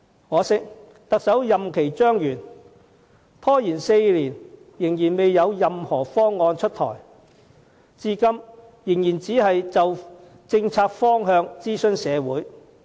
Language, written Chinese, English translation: Cantonese, 可惜，特首任期將滿，拖延4年仍未有任何方案出台，至今仍只是就政策方向諮詢社會。, Regrettably while the term of office of the Chief Executive will soon expire no proposal has been introduced after a delay of four years . So far the community has only been consulted on the policy direction